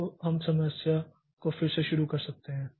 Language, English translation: Hindi, So, we can restart the program